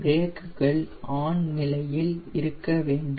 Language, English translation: Tamil, the brakes should be in place now